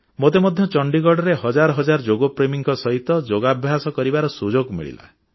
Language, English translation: Odia, I also got an opportunity to perform Yoga in Chandigarh amidst thousands of Yoga lovers